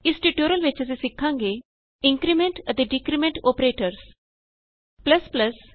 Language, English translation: Punjabi, In this tutorial we learnt, How to use the increment and decrement operators